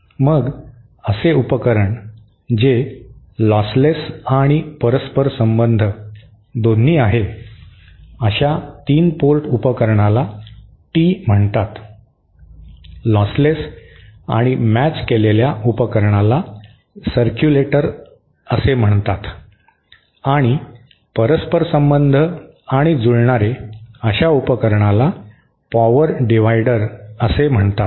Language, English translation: Marathi, Then a device that is both lossless and reciprocal, such a 3 port device is called Tee, device which is lossless and matched is called a circulator and a device which is reciprocal and matched is called a power divider